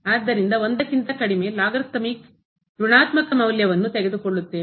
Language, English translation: Kannada, So, less than 1 the logarithmic take the negative value